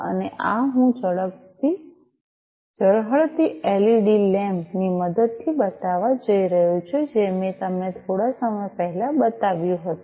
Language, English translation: Gujarati, And this I am going to show using the glowing of the led lamp, that I have shown you a while back